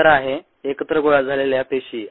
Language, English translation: Marathi, the answer is clumped cells